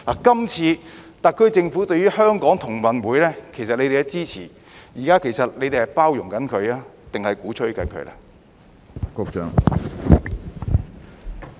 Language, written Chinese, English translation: Cantonese, 今次特區政府支持香港同樂運動會，其實你們是在包容它，還是鼓吹它呢？, By supporting GG2022 in Hong Kong this time is the SAR Government actually tolerating or advocating it?